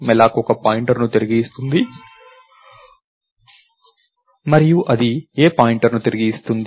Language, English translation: Telugu, The caller called malloc, malloc would return a pointer and what pointer does it return